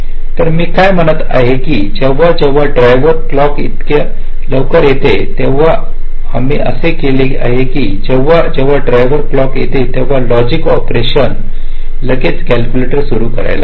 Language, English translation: Marathi, so what i am saying is that whenever the driver clock comes so earlier we have assumed that whenever the driver clocks come, the logic operation start calculating immediately